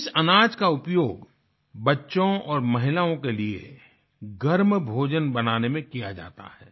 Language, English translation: Hindi, This grain is used to make piping hot food for children and women